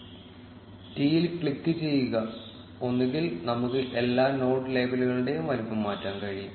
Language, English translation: Malayalam, Click on T, and either we can change the size of all the node labels